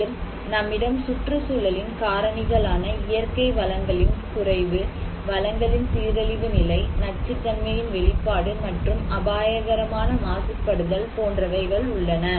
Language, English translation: Tamil, Also, we have environmental factors like the extent of natural resource depletions, the state of resource degradations, exposure to toxic and hazardous pollutants